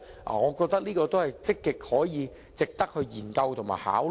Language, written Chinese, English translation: Cantonese, 我覺得這值得積極研究和考慮。, I think it is worthwhile to actively study and consider this idea